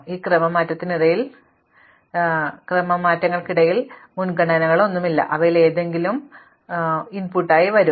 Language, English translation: Malayalam, Now, among these permutations we do not have any preference, any one of them would come as our input